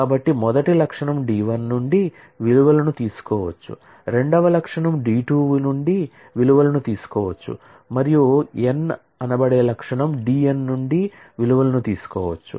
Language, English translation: Telugu, So, the first attribute can take values from D 1, second attribute can take values from D 2 and so on and the nth attribute can take values from D n